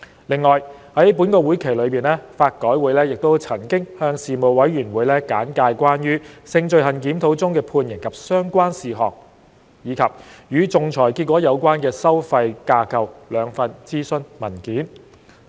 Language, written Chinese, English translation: Cantonese, 另外，在本會期內，法改會曾向事務委員會簡介關於《性罪行檢討中的判刑及相關事項》及《與仲裁結果有關的收費架構》兩份諮詢文件。, In this session LRC also briefed the Panel on the two consultation papers on Sentencing and Related Matters in the Review of Sexual Offences and Outcome Related Fee Structures for Arbitration respectively